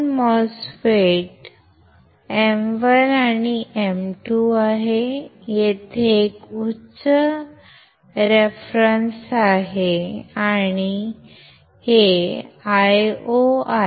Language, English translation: Marathi, There are 2 MOSFETs M 1 and M 2, there is a high reference here and this is Io